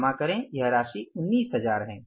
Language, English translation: Hindi, Accounts payable is 19,000